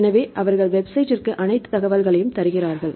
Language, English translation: Tamil, So, they give all the information this is the website